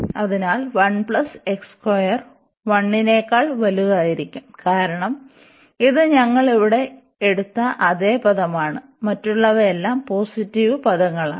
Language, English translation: Malayalam, So, 1 plus x square this will be larger than this one, because this is exactly the same term we have taken here and all other are positive terms